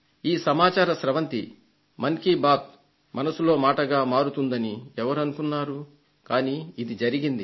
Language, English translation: Telugu, Who would have thought that the "Mann Ki Baat" will become a source of information